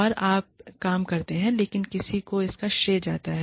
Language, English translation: Hindi, So, you do the work, but somebody else, gets the credits for it